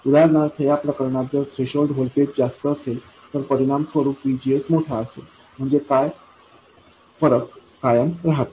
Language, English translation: Marathi, For instance in this case if the threshold voltage is larger, VGS would be correspondingly larger, so this difference remains constant